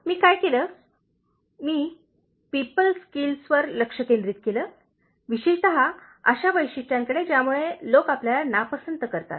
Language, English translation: Marathi, What I did, I focused on People Skills, specifically, to the traits that make people dislike you